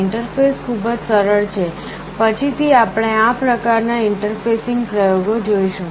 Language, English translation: Gujarati, The interface is very simple, we shall be seeing this kind of interfacing experiments later